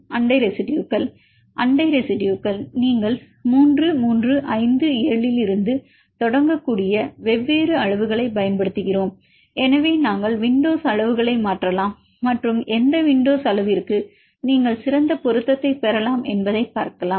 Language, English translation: Tamil, Neighboring residues, you can take neighboring residues here we use different lengths you can start from 3, 3, 5, 7, so we up to we can change the window length and see to which window lengths you can get the best fit